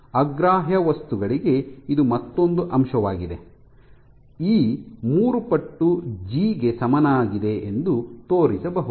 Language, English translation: Kannada, So, this this is another aspect for incompressible materials, it can be shown that E is equal to three times G